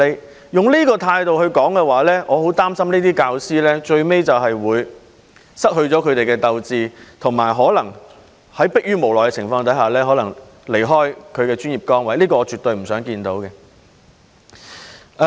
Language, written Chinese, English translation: Cantonese, 如果用這種態度來處理事情的話，我很擔心這些教師最後會失去鬥志，並可能在逼於無奈的情況下離開他們的專業崗位，這是我絕對不想看到的。, I am very worried that if such an attitude is adopted in handling the matter these teachers will eventually lose the will to fight and leave their professional positions when there is no other alternative . This is something that I absolutely do not want to see